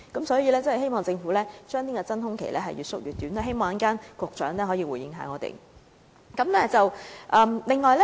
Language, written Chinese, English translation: Cantonese, 所以，希望政府將真空期盡量縮短，希望局長稍後能夠回應我們這問題。, Hence I hope that the Government will keep the vacuum period as short as possible . I hope the Secretary will respond to this question later on